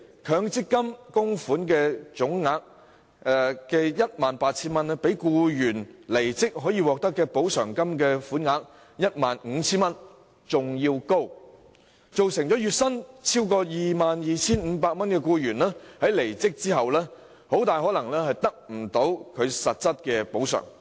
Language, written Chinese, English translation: Cantonese, 強積金供款總額 18,000 元，明顯較僱員離職後可獲的補償款額 15,000 元為高，造成月薪超過 22,500 元的僱員離職後，很可能無法得到實質補償。, Obviously the total amount of MPF contributions of 18,000 is higher than the amount of compensation of 15,000 receivable by an employee upon quitting his job . As a result an employee earning a monthly wage of more than 22,500 is very likely to be unable to receive substantive compensation at the termination of his employment